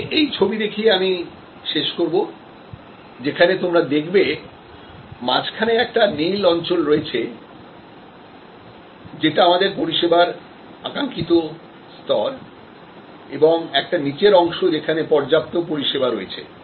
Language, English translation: Bengali, I will conclude with this particular diagram and you see in the middle, we have the blue zone which is that desired level of service and a lower part we have adequate service